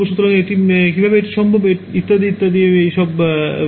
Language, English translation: Bengali, So, how its possible and etcetera etcetera ok